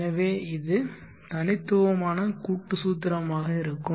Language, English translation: Tamil, So this would be the discrete compounding formula